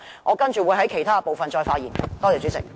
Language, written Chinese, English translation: Cantonese, 我稍後會在其他部分再發言。, I will speak on other policy areas later